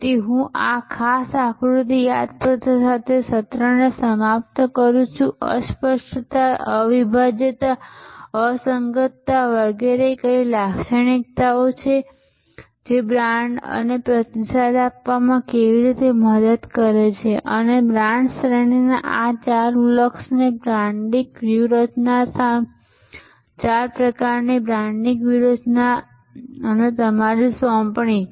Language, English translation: Gujarati, So, I end to the session with this particular diagram reminder about, what intangibility, inseparability, inconsistency, etc are the characteristics and how brand can help us to respond and these four blocks of brand categories branding strategies four types of branding strategies and your assignment, where you have to come up with five elements of a good brand